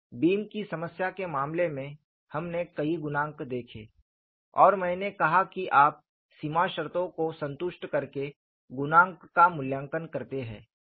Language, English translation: Hindi, In the case of a beam problem, we saw several coefficients, and I said, you evaluate the coefficients by satisfying the boundary conditions